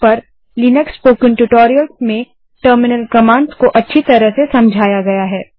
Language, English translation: Hindi, Terminal commands are explained well in the linux spoken tutorials in http://spoken tutorial.org